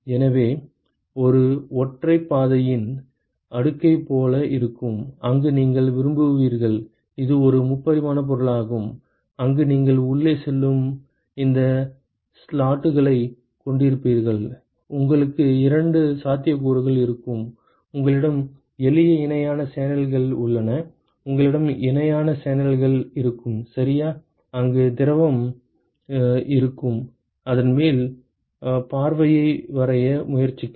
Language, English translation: Tamil, So, this will be like a cascade of monolith, where you will have you will; it is a three dimensional object, where you will have these slots which is going inside and you can have two possibilities; where you have simple parallel channels; you will have parallel channels ok, where the fluid is like probably just try to sketch a top view of that